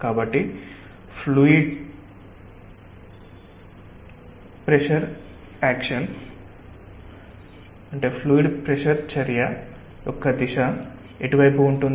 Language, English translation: Telugu, so what will be the direction of the action of the fluid pressure